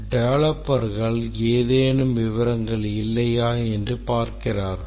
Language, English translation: Tamil, The developer see if any details are missing